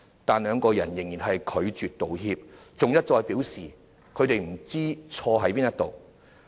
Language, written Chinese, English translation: Cantonese, 但是，兩人仍拒絕道歉，還一再表示不知錯在何處。, However they still refused to apologize and indicated time and again that they do not know what wrong they had done